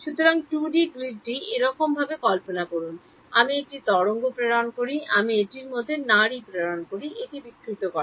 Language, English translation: Bengali, So, imagine 2D grid like this, I send a wave I send a pulse like this it distorts